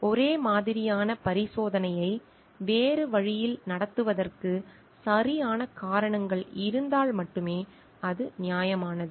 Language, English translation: Tamil, It is only justified if proper reasons are produced for conducting the same experiment in a different way